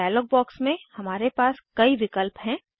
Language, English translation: Hindi, In this dialog box, we have several options